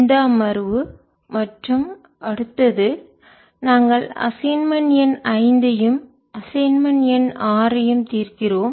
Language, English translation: Tamil, and this session and the next one will be solving a assignment, number five and assignment number six